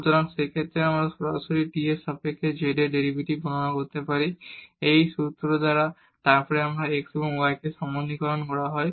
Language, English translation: Bengali, So, in that case we can directly compute the derivative of z with respect to t; by this formula and then this is generalization of this one that x and y